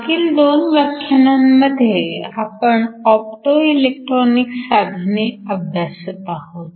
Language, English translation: Marathi, So, for the last couple of classes we have been looking at Optoelectronic devices